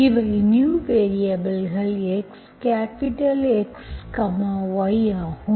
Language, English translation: Tamil, These are new variables x, capital X, Y